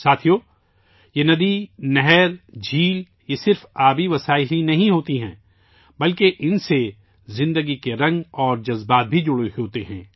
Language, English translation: Urdu, Friends, these rivers, canals, lakes are not only water sources… life's myriad hues & emotions are also associated with them